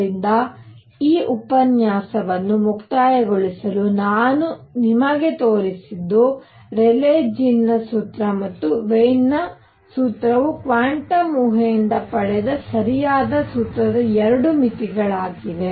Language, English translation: Kannada, So, to conclude this lecture what we have shown you is that the Rayleigh Jean’s formula and the Wien’s formula are 2 limits of the correct formula which is derived from quantum hypothesis